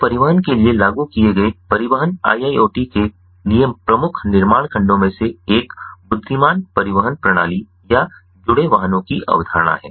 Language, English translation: Hindi, so one of the key building blocks for transportation iiot, applied to transportation, is the concept of intelligent transportation system or connected vehicles